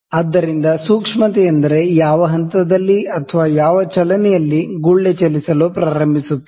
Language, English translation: Kannada, So, the sensitivity is that at what point at what movement does the bubble starts moving